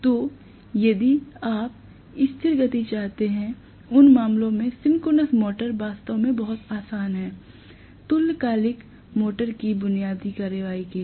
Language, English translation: Hindi, So, if you want the constant speed in those cases synchronous motors come in really, really handy, right, so much so, for the basic action of the synchronous motor right